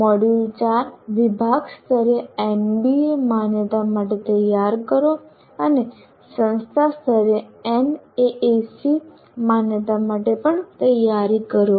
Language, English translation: Gujarati, Module 4, prepare for NBA accreditation at the department level and also prepare for NAC accreditation at the institution level